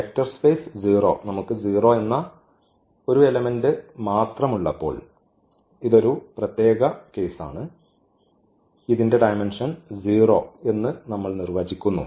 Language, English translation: Malayalam, And the vector space 0 so, this is the special case when we have only one element that is 0 and we define this dimension as 0